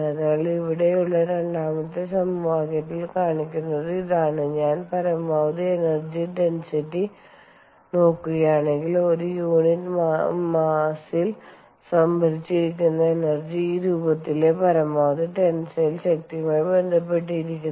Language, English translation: Malayalam, so that is what is shown in the second equation over here, that if i look at the maximum energy density, which an energy stored per unit mass is related to the maximum tensile strength in this form